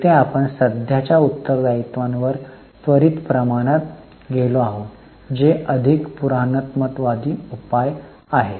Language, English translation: Marathi, Here we have gone for quick ratio upon current liabilities which is a more conservative measure